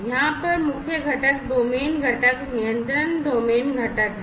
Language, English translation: Hindi, So, the main component over here is the domain component the control domain component